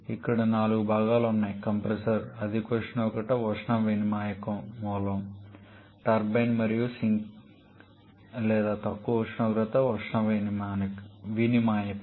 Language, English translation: Telugu, Here there are 4 components compressor, high temperature heat exchanger source, turbine and the sink or low temperature heat exchanger